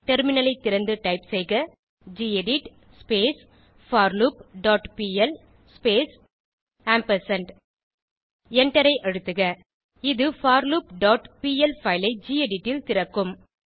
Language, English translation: Tamil, Open the Terminal and type gedit forLoop.pl space and press Enter This will open the forLoop.pl file in gedit